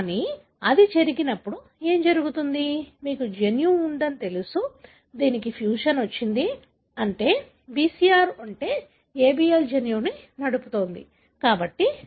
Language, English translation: Telugu, But, when it does happen, what happens, you have gene, you know, which has got the fusion, meaning the BCR is, is driving the ABL gene